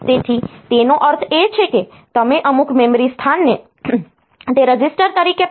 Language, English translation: Gujarati, So, what it means is that, you can treat as if the some memory location as it a register also